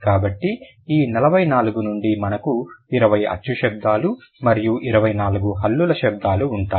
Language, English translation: Telugu, So, out of this 44, we'll have 20 vowel sounds and 24 consonant sounds